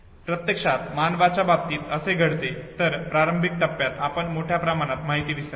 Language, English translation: Marathi, That actually what happens in the case of human beings is that in the initial phase we have a drastic loss of information